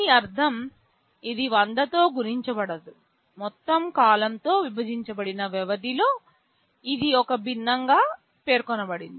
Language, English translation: Telugu, This means it is not multiplied by 100, just on period divided by the total period, it is specified as a fraction